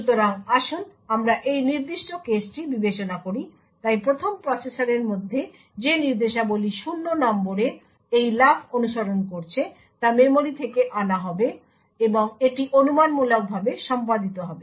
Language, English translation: Bengali, So, let us consider this particular case, so first of all within the processor the instructions that is following these jump on no 0 would get fetched from the memory and it will be speculatively executed